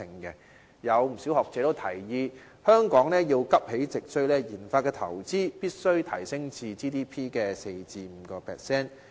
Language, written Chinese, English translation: Cantonese, 不少學者提議，香港要急起直追，研發投資必須提升至 GDP 的 4% 至 5%。, A number of scholars have suggested that Hong Kong must raise its RD investment to 4 % to 5 % of GDP in order to recover lost ground